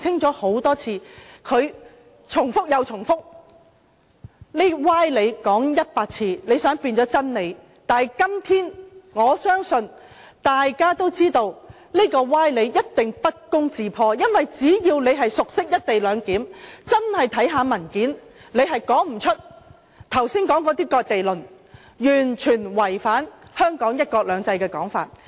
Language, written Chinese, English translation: Cantonese, 他們重複又重複，說歪理100次，想將歪理變成真理，但我相信今天大家都知道，歪理一定會不攻自破，因為只要你熟悉"一地兩檢"，看看文件，你便說不出剛才的"割地論"，因為它是完全違反香港的"一國兩制"。, They cannot make fallacious arguments convincing by repeating them 100 times . But I believe we now know that fallacious arguments will collapse by themselves . If they were familiar with the co - location concept and have read the papers they would not have made the remark just now that the co - location arrangement is tantamount to ceding Hong Kong land to the Mainland